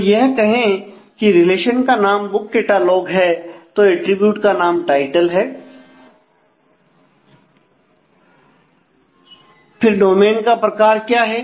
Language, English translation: Hindi, So, if the relation name is say book catalogue, then the attribute name is title, then what is the domain type